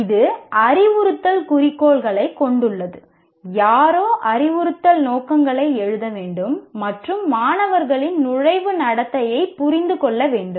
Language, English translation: Tamil, Somebody will have to write the instructional objectives and understand the entering behavior of the students